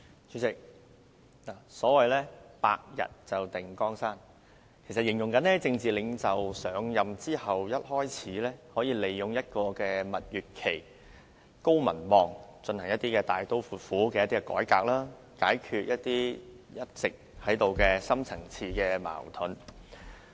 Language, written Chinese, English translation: Cantonese, 主席，所謂"百日定江山"，其實是指政治領袖上任後，可利用就任初期的蜜月期，以高民望進行大刀闊斧的改革，解決一直存在的深層次矛盾。, Chairman it is said that the stability of a country can be secured in 100 days . In fact after a political leader has assumed office he can make use of the initial honeymoon period to carry out drastic reforms when his popularity rating is high so as to solve the deep - seated contradictions that have always existed